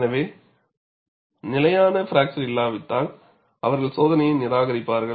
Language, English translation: Tamil, So, if there is no stable fracture, they would discard the test